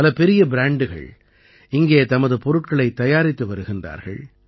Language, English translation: Tamil, Many big brands are manufacturing their products here